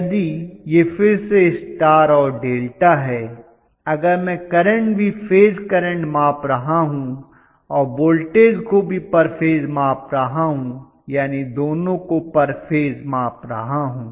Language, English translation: Hindi, If it is again star and delta, If I measure the current also phase current and voltage also per phase voltage I can measure both per phase